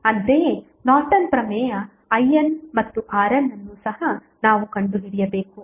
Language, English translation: Kannada, Similarly in Norton's Theorem also what we need to find out is I N and R N